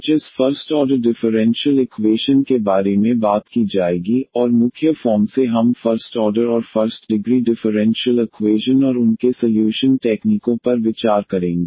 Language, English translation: Hindi, Today will be talking about this First Order Differential Equations, and mainly we will consider first order and the first degree differential equations and their solution techniques